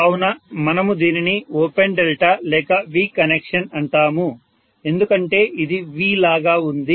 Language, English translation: Telugu, So we call this as V connection or open delta connection